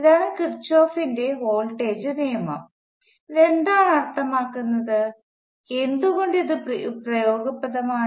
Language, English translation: Malayalam, This is Kirchhoff’s voltage law, what does this mean why this is useful